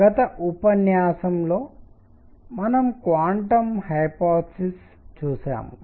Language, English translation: Telugu, In the previous lecture, what we have seen is that the quantum hypothesis